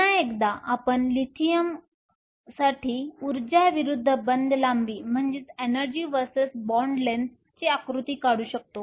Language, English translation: Marathi, Once again we can draw an energy versus bond length diagram for Lithium